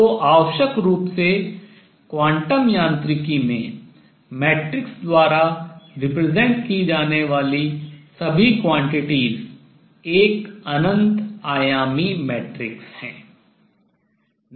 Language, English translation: Hindi, So, necessarily all the quantities that are represented by matrix in quantum mechanics the representation is an infinite dimensional matrix